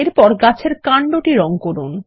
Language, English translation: Bengali, We have colored the tree